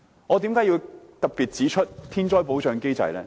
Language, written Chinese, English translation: Cantonese, 我為何要特別提及天災保障機制？, Why do I have to mention the protection mechanism for natural disasters today?